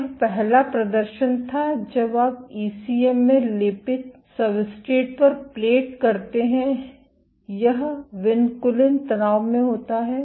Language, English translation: Hindi, This was the first demonstration that when you plate on ECM coated substrates this vinculin is under tension